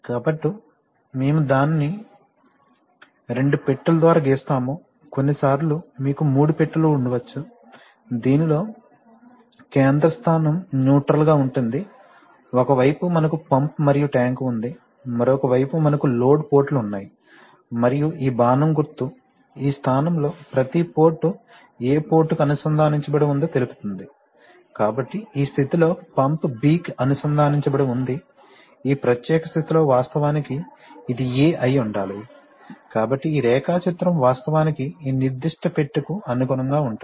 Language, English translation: Telugu, So we draw it by two boxes, sometimes you may have three boxes in which there is a central position neutral, on one side we have pump and tank, on another side we have the load ports, and this arrow indicates that in which, in each of these positions which port is connected to which port, so in this position, pump is connected to B, in the, in this particular position actually this should have been A, if you correspond to this and this should have been actually, so this means that this diagram actually corresponds to this particular box